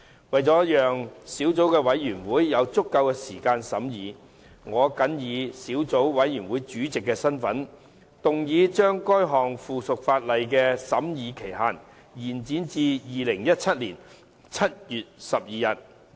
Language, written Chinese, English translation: Cantonese, 為了讓小組委員會有足夠時間進行審議，我謹以小組委員會主席的身份，動議將該項附屬法例的審議期限，延展至2017年7月12日。, In order to allow sufficient time for scrutiny by the Subcommittee in my capacity as Chairman of the Subcommittee I move that the scrutiny period of the aforementioned subsidiary legislation be extended to 12 July 2017